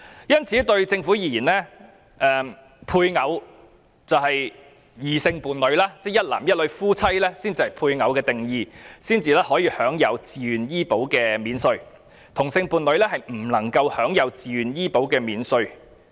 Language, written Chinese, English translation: Cantonese, 因此，政府認為配偶是異性伴侶，一男一女結合成為夫妻才可享有自願醫保扣稅，但同性伴侶則不能享有自願醫保扣稅。, As the Government considers spouses as heterosexual partners the VHIS tax deduction will only be offered to a man and a woman joined in matrimony and not to same - sex couples